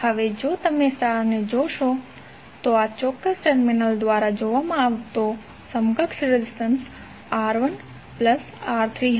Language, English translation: Gujarati, Now if you see the star, the equivalent resistance, the equivalent resistance seen through this particular terminal would R1 plus R3